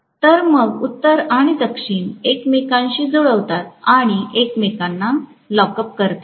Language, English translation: Marathi, So that north and south match with each other and lock up with each other